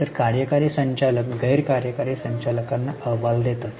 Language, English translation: Marathi, So, executive directors are supposed to report to non executive directors